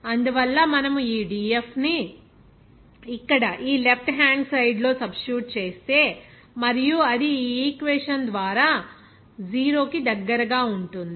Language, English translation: Telugu, Therefore, if we substitute this dF here, this left hand side and that will be close to 0 by this equation